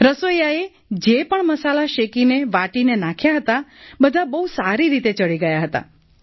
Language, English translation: Gujarati, The cook too had put the spices after roasting and grinding and all had come off well